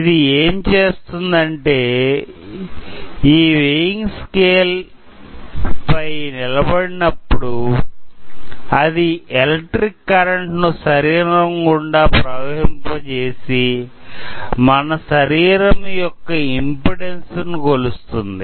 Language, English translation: Telugu, So, what it does is when you stand on this disk or a weighing scale, it will send a small electric current through your body which will measure the impedance of your body ok